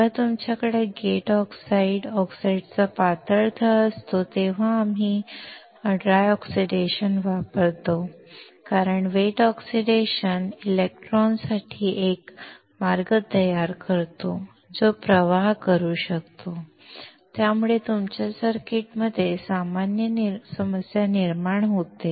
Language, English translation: Marathi, We use dry oxidation when you have gate oxides, thin layer of oxide because wet oxidation creates a path for the electron that can flow, which causes a problem in your circuit